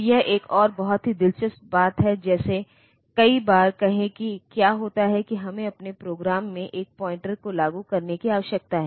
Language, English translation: Hindi, So, this is another very interesting thing like, say many times what happens is that we need to implement a pointer in our program